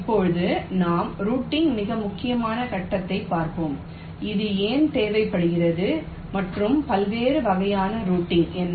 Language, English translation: Tamil, now we shall be looking at the very important step of routing, why it is required and what are the different types of routing involved